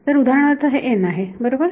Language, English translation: Marathi, So, for example, this is n right